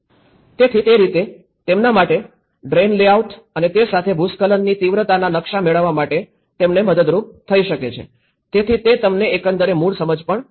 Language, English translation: Gujarati, So, in that way, it was helpful for them to get the drain layouts and as well the hazard landslide intensity maps, so that will give you an overall original understanding as well